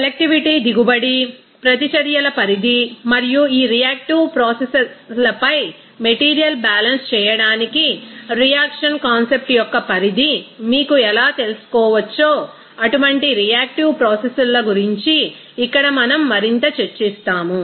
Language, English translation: Telugu, Here we will discuss something more about that reaction processes like selectivity yield, extent of reactions and how this you know extent of reaction concept can be used to do the material balance on this reactive processes